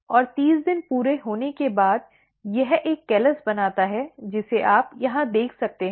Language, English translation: Hindi, And, once the 30 days is complete, it creates a callus which you can see you over here